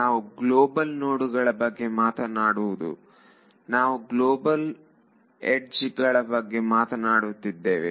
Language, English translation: Kannada, We are not talking about global nodes we have to talk about global edges